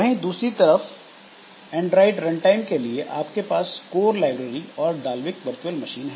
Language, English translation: Hindi, On the other hand for Android runtime we have got code libraries and the Dulvick virtual machine